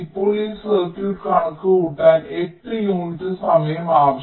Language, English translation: Malayalam, lets say here: now, this circuit requires eight units of time right to compute